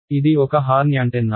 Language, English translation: Telugu, It is a horn antenna right